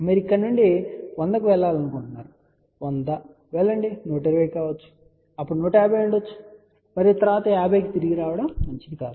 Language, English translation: Telugu, What you like to go from here 100, go to may be 120 , then may be some 150 and then come back to 50 not a good idea